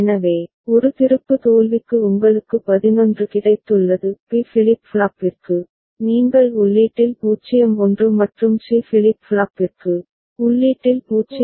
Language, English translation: Tamil, So, for A flip flop you have got 11; for B flip flop, you have got 0 1 at the input and for C flip flop, you have got 0 1 at the input, right